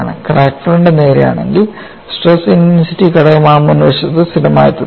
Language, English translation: Malayalam, If the crack front is straight then the stress intensity factor remains constant on that front